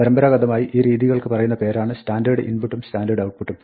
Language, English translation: Malayalam, Traditionally, these modes are called standard input and standard output